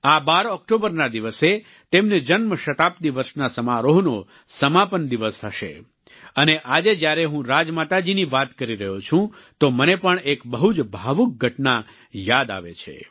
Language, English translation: Gujarati, This October 12th will mark the conclusion of her birth centenary year celebrations and today when I speak about Rajmata ji, I am reminded of an emotional incident